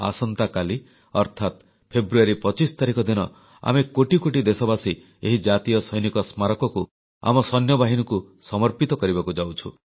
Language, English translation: Odia, Tomorrow, that is on the 25th of February, crores of we Indians will dedicate this National Soldiers' Memorial to our Armed Forces